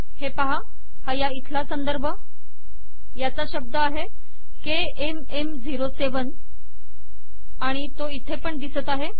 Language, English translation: Marathi, For example, I have this reference, this record has KMM07 and that appears here as well